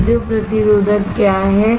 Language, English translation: Hindi, What is piezo resistive